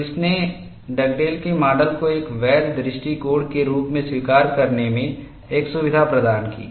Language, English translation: Hindi, So, this provided a comfort in accepting Dugdale’s model as a valid approach